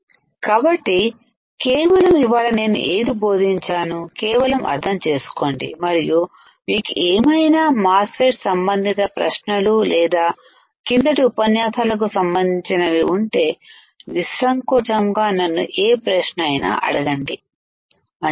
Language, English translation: Telugu, So, just understand whatever I have taught you today, and if you have questions related to MOSFET or related to earlier lectures You are free to ask me any query all right